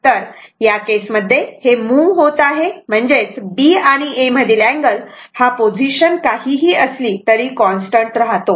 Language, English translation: Marathi, So, in that case, as this is moving when; that means, angle between B and A whatever may be the position angle phi will remain constant